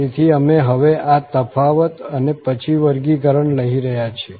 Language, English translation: Gujarati, So, we are taking now this difference and then the square